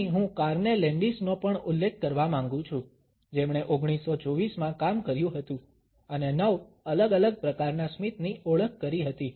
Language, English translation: Gujarati, Here I would also like to mention Carney Landis, who had worked in 1924 and had identified 9 different types of a smiles